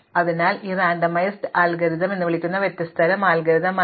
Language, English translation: Malayalam, So, this is a different type of algorithm called a randomized algorithm